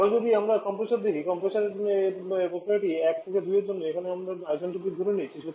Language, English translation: Bengali, Now, if we move that to the compressor; for the compressor where ever process is 1 to 2 were assume this to be isentropic